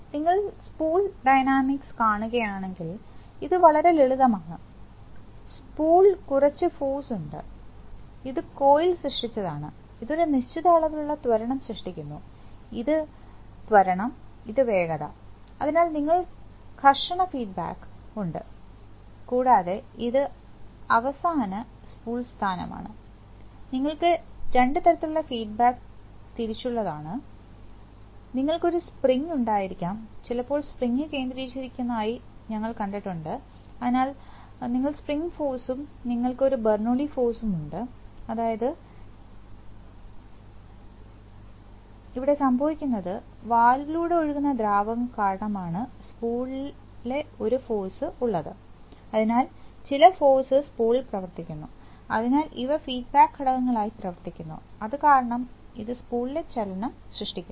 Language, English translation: Malayalam, If you see the spool dynamics, it is very simple there is some force acting on the spool, which is created by the coil, this creates a certain amount of acceleration, so this is acceleration, this velocity, so you have friction feedback and then this final is spool position and you have two kinds of feedback wise that you can have a spring, sometimes we have seen that we have centering Springs connected, so you have spring force and you have a Bernoulli force, which is, which is occurring on, which is a force on the spool because of that fluid flowing through the valve, so then some force acting on the spool, so these act as feedback elements, So this creates the motion of the spool